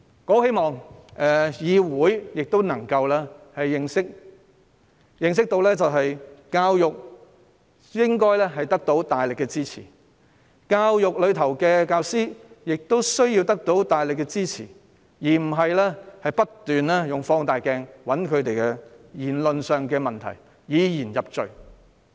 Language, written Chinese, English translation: Cantonese, 我希望議會能夠認清一點，就是教育應該得到大力支持，教育界及教師亦需要得到大力支持，而非不斷用放大鏡尋找他們在言論上的問題，以言入罪。, I hope the Council can be well aware of one point that is education deserves strong support . The education sector and teachers also need strong support . One should not keep using a magnifier to find fault with their comments and incriminate them for expression of views